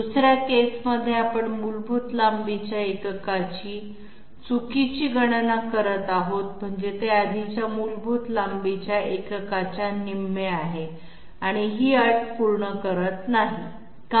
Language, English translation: Marathi, In the 2nd case, we are having calculation of basic length unit to be incorrect that means it does not fulfill the condition that it is half the previous basic length unit, why